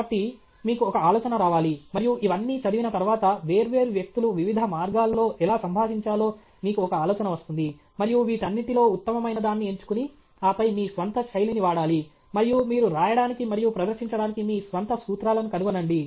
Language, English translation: Telugu, So, you should get an idea, and after reading all this, you will get an idea how different people communicate in different ways, and pick and choose the best among all these, and then put your own spin, and come out with your own formula okay for writing and presenting